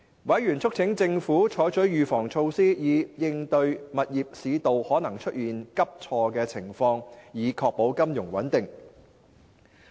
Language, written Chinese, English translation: Cantonese, 委員促請政府採取預防措施，以應對物業市道可能出現急挫的情況，以確保金融穩定。, Members urged the Government to take precautionary measures against any possible property slump so as to ensure financial stability